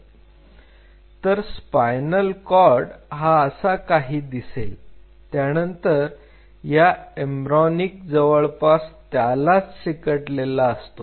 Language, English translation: Marathi, So, the spinal cord is something like this and then embryonic and as well as in adhered